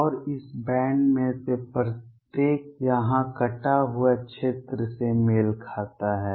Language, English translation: Hindi, And each of this band corresponds to the shredded region here